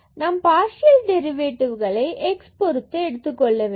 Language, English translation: Tamil, So, we have the existence of the partial derivative with respect to x